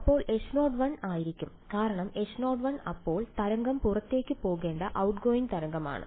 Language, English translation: Malayalam, Then it will be H naught 1 because H naught 1 then is the outgoing wave the wave has to be outgoing